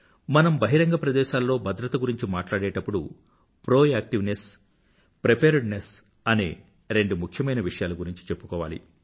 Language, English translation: Telugu, When we refer to public safety, two aspects are very important proactiveness and preparedness